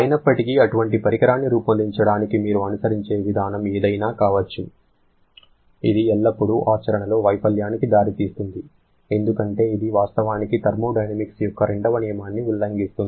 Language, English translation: Telugu, However, whatever may be the approach you follow to fabricate such a device, it will always lead to a failure in practice because that actually violates the second law of thermodynamics